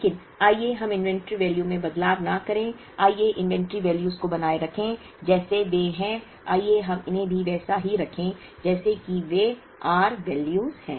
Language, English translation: Hindi, But, let us not change the inventory values, let us keep the inventory values as they are, let us keep these also as they are, the r values also as they are